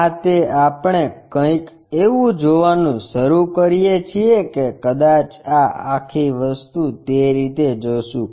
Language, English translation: Gujarati, This one we start seeing something like that perhaps this entire thing in that way we will see